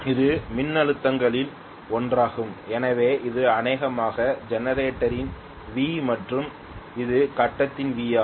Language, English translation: Tamil, This is one of the voltages, so this is probably V of the generator okay and this is the V of the grid